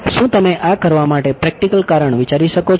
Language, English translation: Gujarati, Can you think of a practical reason for doing this